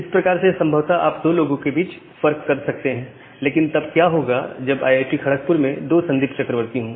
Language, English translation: Hindi, That way you can possible try to disambiguate between two person, but again if there can be two Sandip Chakraborty inside IIT, kharagpur